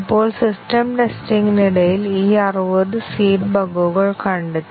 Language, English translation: Malayalam, Now, during system testing, 60 of these seeded bugs were detected